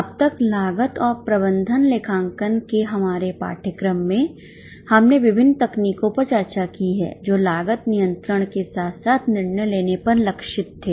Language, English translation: Hindi, So far in our course in cost and management accounting we have discussed various techniques which were targeted at cost control as well as decision making